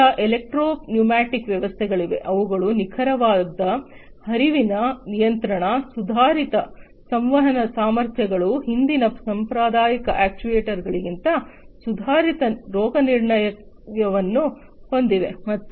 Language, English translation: Kannada, Then there are the electro pneumatic systems, which have precise flow control, advanced communication capabilities, improved diagnostics than the previous traditional actuators